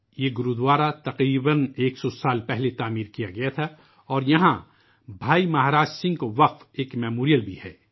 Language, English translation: Urdu, This Gurudwara was built about a hundred years ago and there is also a memorial dedicated to Bhai Maharaj Singh